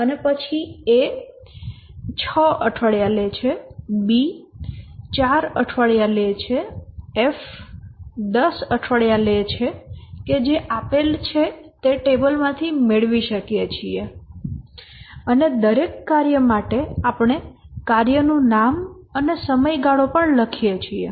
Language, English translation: Gujarati, Start date of start task is day 0 and then A takes 6 weeks, B takes 4 weeks, F text 10 week that we can get from the table that has been given and for every task we write the name of the task and also the duration